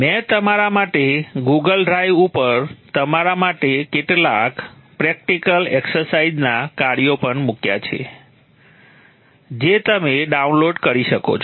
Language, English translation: Gujarati, I have also put few practical exercise tasks for you on the Google Drive which you can download